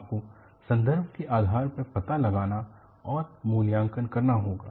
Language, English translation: Hindi, You will have to find out and assess depending on the context